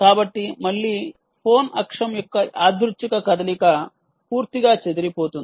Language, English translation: Telugu, so again, random motion of the phone axis gets completely disturbed